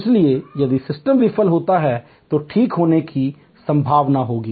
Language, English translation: Hindi, So, if the system fails then will there be a possibility to recover